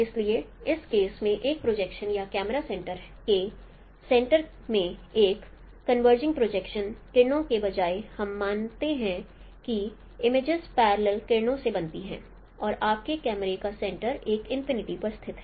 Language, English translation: Hindi, So in this case, instead of a converging projection rays on a center of projection or camera center, we consider the images are formed by parallel rays and your center of camera lies at a at an infinity